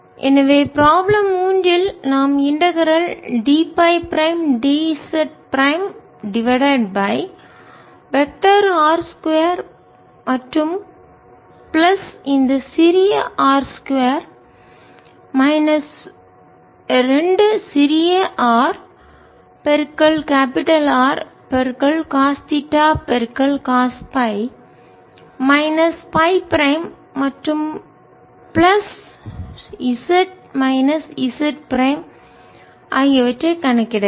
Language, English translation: Tamil, so in problem three we have to calculate the integral d phi prime, d z prime over vector i square plus this small i square minus two small r capital r cost, theta cost phi minus phi prime plus z minus j prime, this pi r j minus z prime